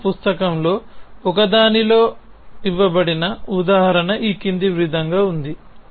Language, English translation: Telugu, So, an example which is given in one of the text book is as follows